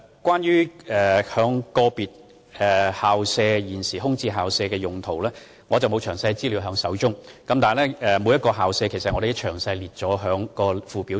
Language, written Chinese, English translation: Cantonese, 關於個別空置校舍用地的情況，我手邊沒有詳細資料，但我們已把每間空置校舍列入相關附表中。, Regarding the situation of individual VSP sites I am afraid that I have no detailed information on hand . But we have already included all VSPs sites in the lists set out in the relevant Annexes